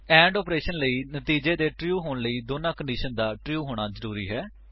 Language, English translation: Punjabi, The AND operation requires both the conditions to be true for the result to be true